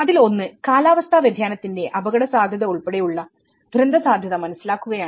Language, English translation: Malayalam, One is, understanding the disaster risk, including the risk of climate change